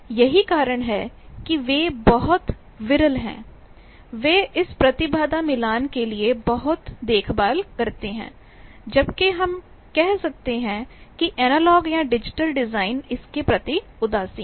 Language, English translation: Hindi, That is why they are very sparse, they take a lot of care for this impedance matching whereas, we can say that the analogue or digital designs are indifferent to that